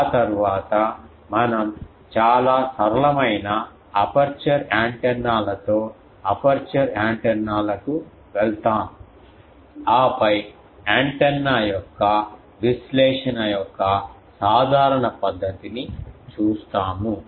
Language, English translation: Telugu, After that we will go to aperture antennas with some of the very simple aperture antennas, and then we will see the general method of analysis of antenna, ok